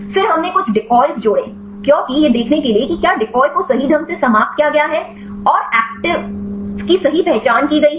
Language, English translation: Hindi, Then we added some decoys because to see whether decoys are correctly eliminated and the actives are correctly identified